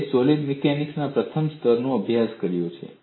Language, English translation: Gujarati, It is a first level course in solid mechanics